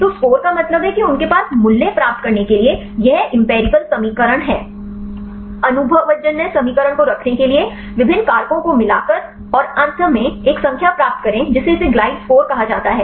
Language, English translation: Hindi, So, the score means they have this empirical equation to get the value; by combining different factors to the put the empirical equation and finally, get a number that it is called the glide score